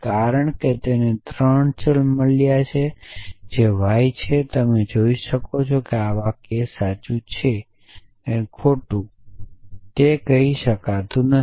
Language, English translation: Gujarati, Because it has got a 3 variable which is y and you can see that we cannot say whether this sentence is true or false